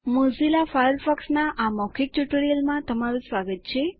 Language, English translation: Gujarati, Welcome to the this tutorial of Mozilla Firefox